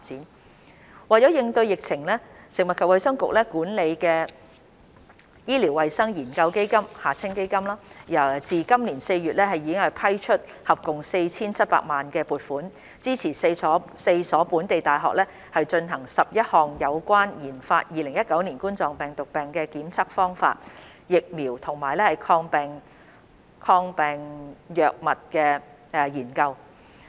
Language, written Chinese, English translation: Cantonese, 三為應對疫情，由食物及衞生局管理的醫療衞生研究基金自今年4月已批出合共 4,700 萬元撥款，支持4所本地大學進行11項有關研發2019冠狀病毒病的檢測方法、疫苗及抗病藥物的研究。, 3 In order to combat the epidemic since April 2020 the Health and Medical Research Fund HMRF administered by the Food and Health Bureau has approved a total funding of 47 million to support four local universities to conduct 11 studies relating to the testing methods vaccines and antivirals of COVID - 19